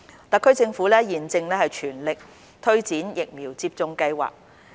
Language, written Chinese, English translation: Cantonese, 特區政府現正全力推展疫苗接種計劃。, The SAR Government is now implementing the vaccination programme at full speed